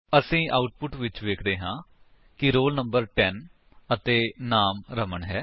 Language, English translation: Punjabi, We see in the output that the roll number is ten and the name is Raman